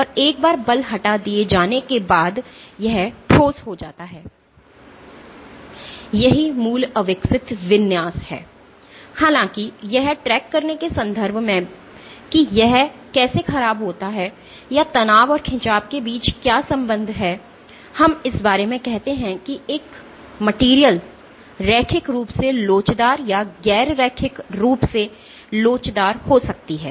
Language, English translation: Hindi, And once the force is removed the solid regains it is original undeformed configuration; however, in terms of tracking how it deforms or what is the relationship between the stress and the strain, we come about by saying a material can be linearly elastic or non linearly elastic